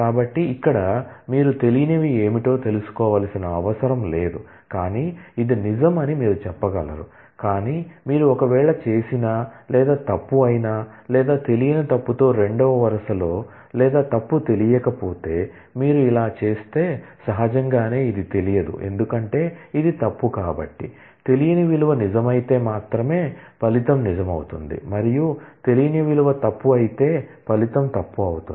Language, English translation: Telugu, So, here you do not need to know what is that unknown well you can say it is true, but if you do or with false or of unknown with false the second row or of unknown with false if you do this, then naturally this is unknown because, since this is false the result would be true only if unknown value is true and the result would be false if the unknown value is false, you do not know what that unknown value is